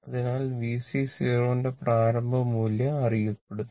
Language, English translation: Malayalam, So, initial value of V C 0 known